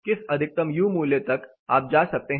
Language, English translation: Hindi, What is a maximum u value you can go for